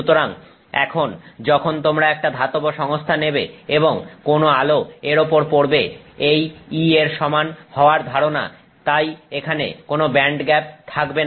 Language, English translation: Bengali, So, now when you take a metallic system and any light falls on it, this idea of E equals, you know, so there is no band gap here, right